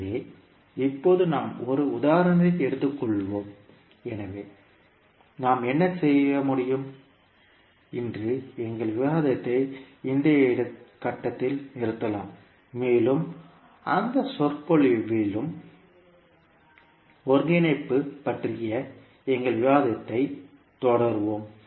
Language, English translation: Tamil, So now we will take one example so what we can do, we can stop our discussion today at this point and we will continue our discussion on convolution integral in the next lecture also